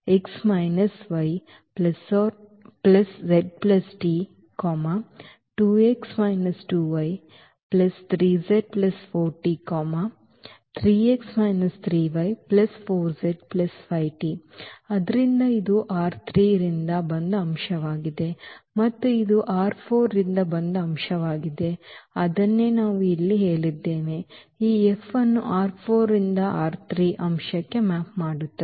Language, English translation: Kannada, So, this is the element from R 3 and this is the element from R 4 and that is what we said here this F maps an element from R 4 to an element in R 3